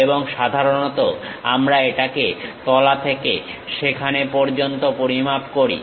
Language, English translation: Bengali, And usually we measure it from bottom all the way to that